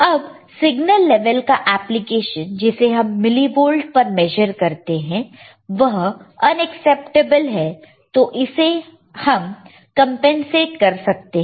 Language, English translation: Hindi, Now, application by the signal levels are measured in millivolts this is totally not acceptable this can be compensated